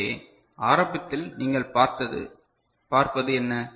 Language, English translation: Tamil, So, initially what you see